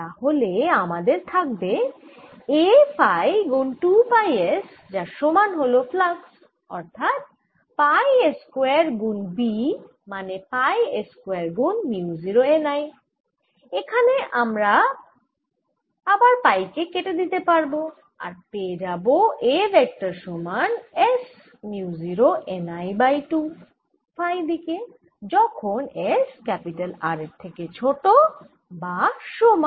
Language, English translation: Bengali, here i have distributed b giving rise to a, so i have a phi times two pi s and now the flux is going to be pi s square times b, which is equal to pi square mu naught n i, and from this again i am going to cancel pi and i get a vector is equal to s mu naught n i divided by two in the phi direction